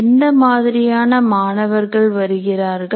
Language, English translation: Tamil, What kind of students come